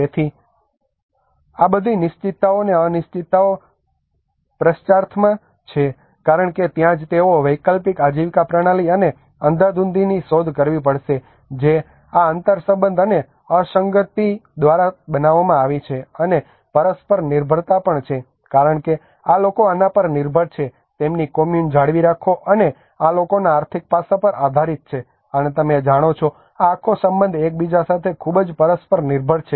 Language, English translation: Gujarati, So all these certainties and uncertainties are in question because that is where they have to look for kind of alternative livelihood systems and the chaos which has been created by this interrelationship and the non linearity and also the interdependence is because these people depend on this to maintain their Kommun and these people depend on the financial aspect and you know this whole relationship are very much interdependent with each other